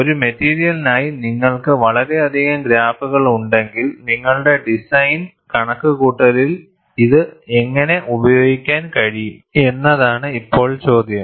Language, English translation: Malayalam, Now, the question is if you have so many graphs for one material, how will you be able to use this, in your design calculation